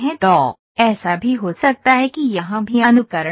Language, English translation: Hindi, So, that can happen also simulation happen here as well